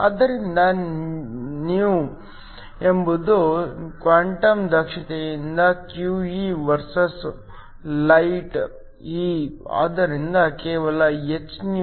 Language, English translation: Kannada, So, η is your quantum efficiency QE versus energy E of the light, so that just hυ